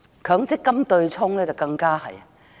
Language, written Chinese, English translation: Cantonese, 強積金對沖機制更加如是。, This is even more so with the MPF offsetting mechanism